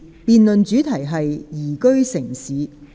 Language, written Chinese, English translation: Cantonese, 辯論主題是"宜居城市"。, The debate theme is Liveable City